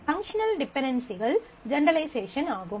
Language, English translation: Tamil, Functional dependencies are generalization